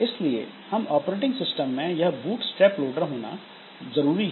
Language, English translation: Hindi, So, there is a small piece of code which is called the bootstrap loader